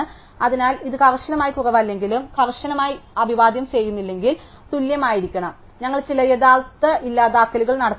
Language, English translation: Malayalam, So, if it is not strictly less than and not strictly greater then in must be equal and we have to do some real deletes